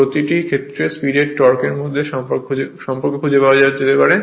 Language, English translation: Bengali, The relation between the speed and the torque in each case can be found out right